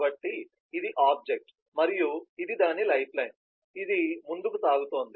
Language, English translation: Telugu, so this is the object and this is its lifeline, this is advancing time